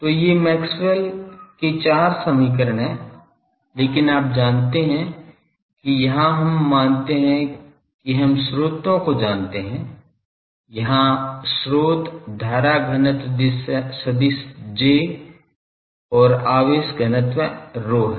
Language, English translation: Hindi, So, these are the four Maxwell’s equation, but you know that this here we assume that we know the sources, sources here is the current density vector J and the charge density rho